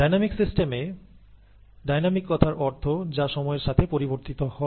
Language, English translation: Bengali, For dynamic systems, dynamic means, which change with time